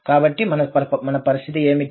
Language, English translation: Telugu, So, what is the situation we have